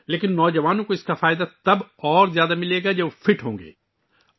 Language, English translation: Urdu, But the youth will benefit more, when they are fit